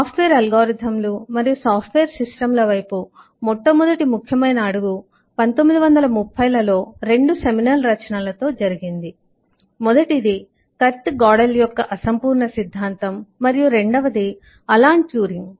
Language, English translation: Telugu, the first significant step towards software algorithms and software systems happened in the 1930s with the () 1 by kurt godel incompleteness theorem and alan turing in turing machines